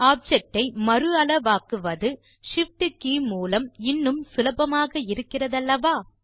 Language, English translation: Tamil, It is much easier to re size the object if you press the Shift key also, isnt it